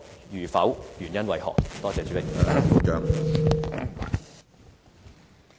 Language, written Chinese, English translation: Cantonese, 如否，原因為何？, If not what are the reasons for that?